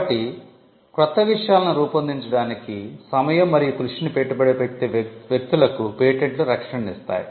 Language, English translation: Telugu, So, patents grant a protection for people who would invest time and effort in creating new things